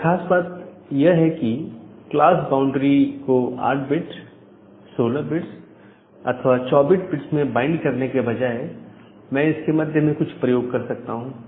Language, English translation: Hindi, But the idea here is that rather than binding the class boundary at 8 bit, 16 bit or 24 bit, can I use something in middle